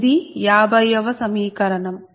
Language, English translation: Telugu, this is equation fifty